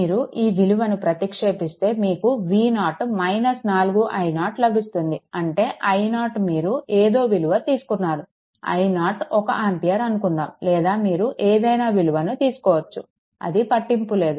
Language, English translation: Telugu, If you substitute you will get V 0 is equal to minus 4 i 0 right so; that means, i 0 is equal to you have taken, your what you call i 0 is equal to say 1 ampere any value, you can take it does not matter right